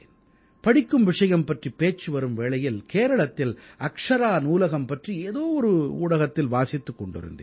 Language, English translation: Tamil, Now that we are conversing about reading, then in some extension of media, I had read about the Akshara Library in Kerala